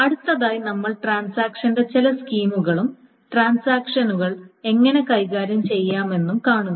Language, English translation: Malayalam, So, the next we will go over this certain schemes of these transactions and how to manage transactions, etc